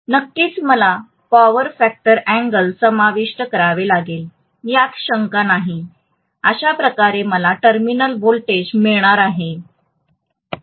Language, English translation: Marathi, Of course I have to include the power factor angle, no doubt, this is how I am going to get terminal voltage